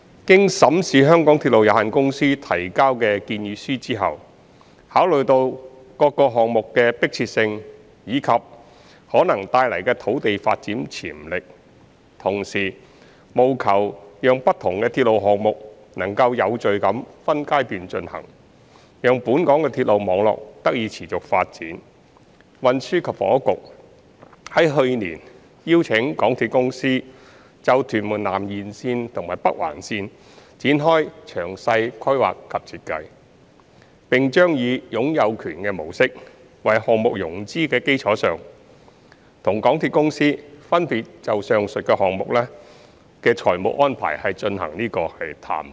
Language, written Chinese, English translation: Cantonese, 經審視香港鐵路有限公司提交的建議書後，考慮到各項目的迫切性及可能帶來的土地發展潛力，同時務求讓不同的鐵路項目能夠有序地分階段進行，讓本港的鐵路網絡得以持續發展，運輸及房屋局在去年邀請港鐵公司就屯門南延綫及北環綫展開詳細規劃及設計，並將以"擁有權"模式為項目融資的基礎上，與港鐵公司分別就上述項目的財務安排進行談判。, Having examined the proposals submitted by the MTR Corporation Limited MTRCL and considered the urgency of various projects together with the land development potential that may be brought about while allowing a continuous development of Hong Kongs railway network with phased implementation of the railway projects in an orderly manner the Transport and Housing Bureau THB invited MTRCL to commence the detailed planning and design for the Tuen Mun South TMS Extension and Northern Link NOL last year and will carry out negotiation with MTRCL on the financing arrangement of the above mentioned projects respectively on the basis of the ownership approach for funding the projects